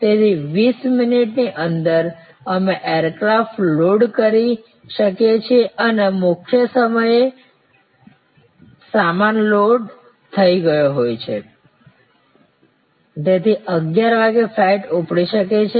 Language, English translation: Gujarati, So, that within 20 minutes we can load the aircraft and in the main time luggage’s have been loaded, so at 11'o clock the flight can take off